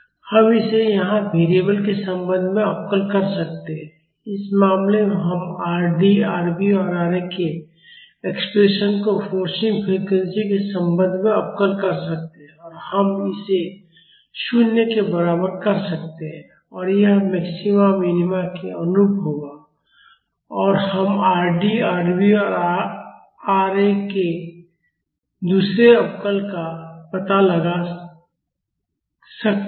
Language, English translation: Hindi, We can differentiate it with respect to the variable here, in the case we can differentiate the expressions for Rd, Rv and Ra with respect to the forcing frequency and we can equate it to 0 and that would correspond to the maxima or minima and we can find out the second derivative of Rd, Rv and Ra